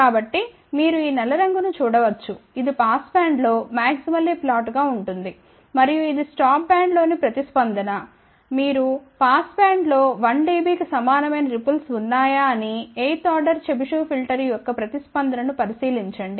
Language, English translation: Telugu, So, you can see this black color you can see it is maximally flat in the passband and this is the response in the stop band if you look at the response of eighth order Chebyshev filter whether ripple equal to 1 dB in the passband